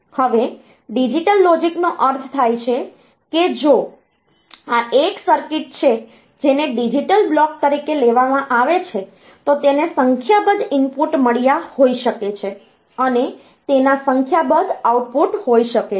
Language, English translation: Gujarati, Now digital logic means, so, if this is a circuit which is taken as a digital block, it has got a number of inputs and there can be a number of outputs